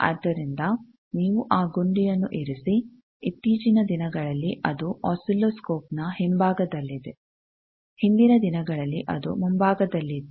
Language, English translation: Kannada, So, you put that button nowadays in the back side of oscilloscope, it is there earlier days it was at the front side